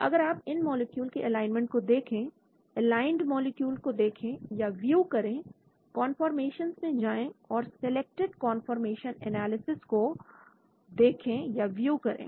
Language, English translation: Hindi, If you look at the alignment of these molecules , view aligned molecule, go to conformations, view selected conformation analysis